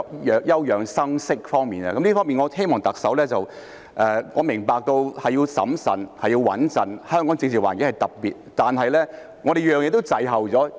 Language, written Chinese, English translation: Cantonese, 在這方面，我希望特首......我明白要審慎和"穩陣"，香港的政治環境是特別的，但是，我們每件事都滯後。, In this connection I hope the Chief Executive I understand that it is necessary to be prudent and play safe given the special political landscape in Hong Kong but we are lagging behind in everything